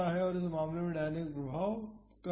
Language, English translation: Hindi, So, the dynamic effects are lower in this case